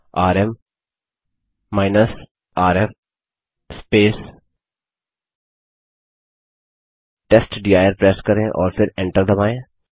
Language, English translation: Hindi, Press rm rf testdir and then press enter